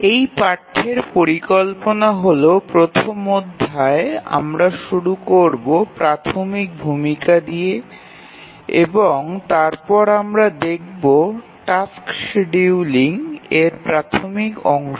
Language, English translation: Bengali, The plan of this course is that this first lecture we will start with some very basic introduction and then we will look some basics of task scheduling